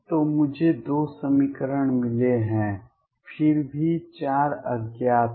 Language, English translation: Hindi, So, I have gotten two equations, still there are four unknowns